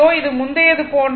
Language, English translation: Tamil, This is same as before